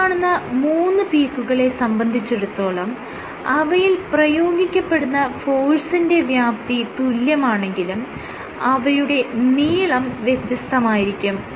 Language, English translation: Malayalam, So, 3 peaks, because what you see is the magnitude of these forces are the same, but these lengths are different